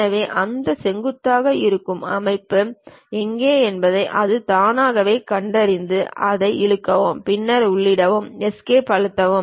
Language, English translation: Tamil, So, it automatically detects where is that perpendicular kind of system I can press that, then Enter, press Escape